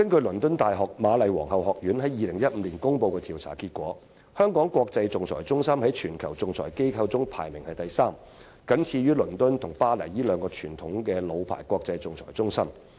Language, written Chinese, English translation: Cantonese, 倫敦大學瑪麗皇后學院在2015年公布的調查結果顯示，香港國際仲裁中心在全球仲裁機構中排名第三，僅次於倫敦和巴黎這兩個傳統老牌國際仲裁中心。, According to the survey outcomes released by Queen Mary University of London in 2015 the Hong Kong International Arbitration Centre HKIAC ranked third in all arbitration institutions worldwide and was only next to the two conventional and well - established arbitration centres of London and Paris